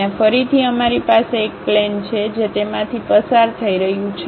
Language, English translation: Gujarati, There again we have a plane which is passing through that